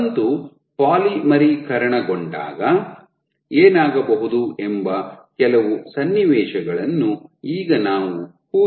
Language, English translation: Kannada, Now let us imagine some scenarios what might happen when the filament polymerizes